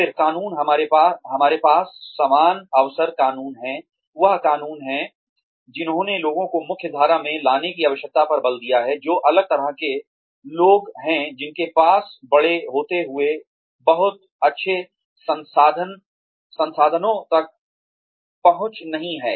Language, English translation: Hindi, Then, laws, we have equal opportunity laws,we laws, that emphasized the need to mainstream the people, who are differently abled or people, who do not have access to very good resources, while growing up